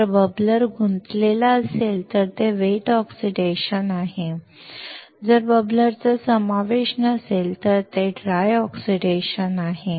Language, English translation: Marathi, If the bubbler is involved, it is wet oxidation, while if the bubbler is not involved, it is dry oxidation